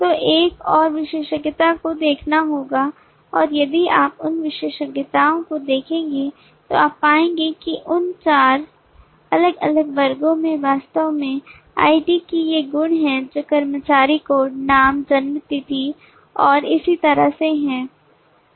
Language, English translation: Hindi, so another would be to looking at the attributes and if you look at the attributes you will find that all of these 4 different classes actually have these attributes of id which is employee code, name, date of birth and so on